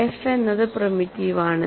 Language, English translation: Malayalam, Because f is primitive